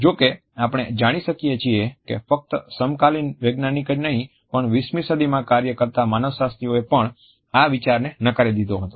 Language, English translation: Gujarati, However, we find that not only the contemporary scientist, but also the anthropologist who were working in the 20th century had rejected this idea